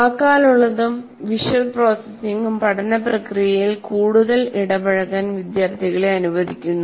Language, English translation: Malayalam, Verbal and visual processing allow students to become more involved in the learning process leading to increasing retention